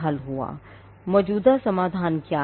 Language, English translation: Hindi, What are the existing solutions